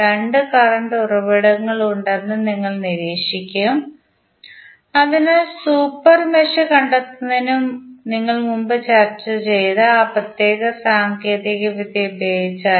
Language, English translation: Malayalam, That you will observe that there are two current sources, so what we discussed previously if you apply that particular technique to find out the super mesh